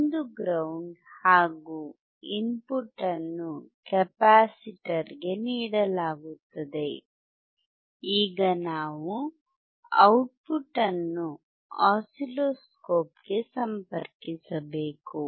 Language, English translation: Kannada, So, you can see one is ground, and the input is given to the capacitor, now we have to connect the output to the oscilloscope